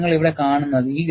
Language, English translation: Malayalam, And, that is what is depicted here